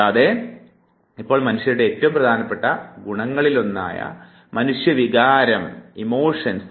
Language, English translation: Malayalam, And now we would be coming to the one of the most significant attributes of human beings, that is human emotion